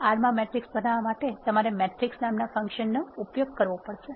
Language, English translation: Gujarati, To create a matrix in R you need to use the function called matrix